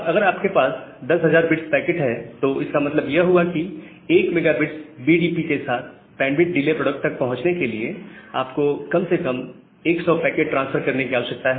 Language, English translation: Hindi, And if you have a 10000 bit 10000 bit packet so if you have a 10000 bit packet that means, with 1 megabit BDP, you can transfer you need to transfer at least 100 packets to reach to the bandwidth delay product